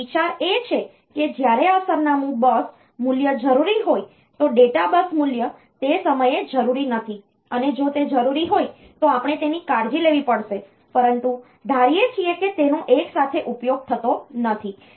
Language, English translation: Gujarati, So, data bus value is not necessary at that point and if it is necessary we have to take care of that, but assuming that they are not used simultaneously